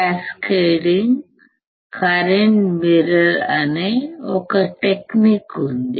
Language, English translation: Telugu, In cascaded current mirror, what we use